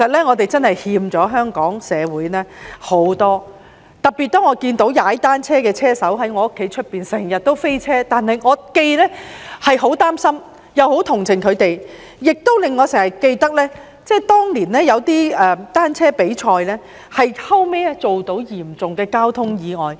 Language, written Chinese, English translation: Cantonese, 我們真的欠了香港社會很多，特別是當我看到一些單車車手經常在我家外面"飛車"，我既擔心又很同情他們，亦令我想起當年有些單車比賽造成的嚴重交通意外。, We do owe a lot to the community of Hong Kong especially when I saw some cyclists racing outside my house . I was worried about and sympathetic to them . It also reminded me of some serious traffic accidents caused by cycling competitions back then